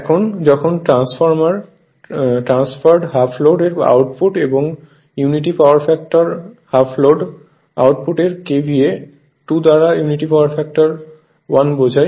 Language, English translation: Bengali, Now, when output of transferred half load with unity power factor half load means KVA by 2 right into your of unity power factor 1